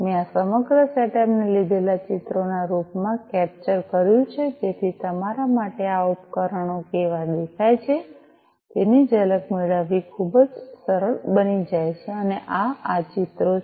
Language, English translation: Gujarati, I you know I have captured this entire setup in the form of pictures taken so that it becomes very easier for you to have a glimpse of what how these devices look like and this is these pictures